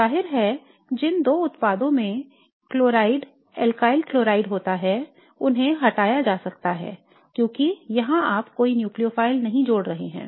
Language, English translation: Hindi, So the ruling out the possibilities obviously the two products which have chloride, alkyl chloride can be ruled out because here you are not adding any nucleophile